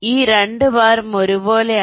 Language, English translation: Malayalam, these two weight is one